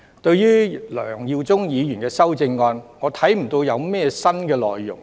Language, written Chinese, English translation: Cantonese, 對於梁耀忠議員的修正案，我看不見有甚麼新內容。, As regards Mr LEUNG Yiu - chungs amendment I do not see any new content